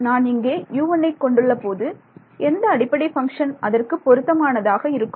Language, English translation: Tamil, So, when I have U 1 which testing which basis function would it have been